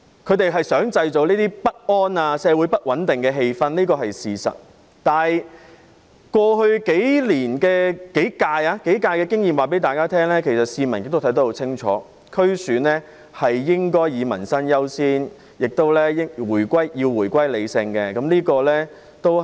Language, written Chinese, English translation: Cantonese, 他們想製造不安和社會不穩定的氣氛是事實，但是，過去數屆區議會選舉的經驗告訴大家，其實市民看得很清楚，區議會選舉應以民生優先，而且要回歸理性。, It is true that the opposition camp wants to create disharmony and instability in society but from the experience of DC elections in the past few years members of the public can clearly understand that promoting peoples livelihood is the primary consideration in DC elections and they have to act rationally